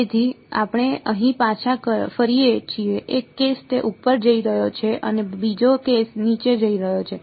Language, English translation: Gujarati, So, we look back over here one case its going up and the other case is going down right